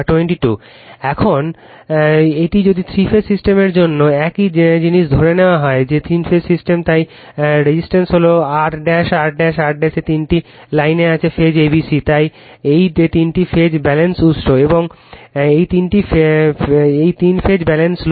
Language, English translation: Bengali, Now, now this one your if for three phase system, we assumed also same thing that your three phase systems, so resistance is R dash, R dash, R dash; three lines is there phase a, b, c; this side is three phase balanced source right, and this is three phase balanced load